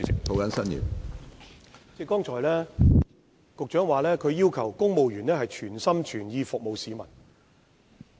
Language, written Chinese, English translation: Cantonese, 局長剛才提到要求公務員全心全意服務市民。, Secretary has just mentioned the requirement for civil servants to serve the public wholeheartedly